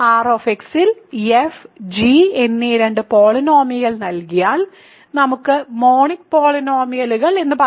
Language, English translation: Malayalam, So, given two polynomials f and g in R x with f let us say monic polynomial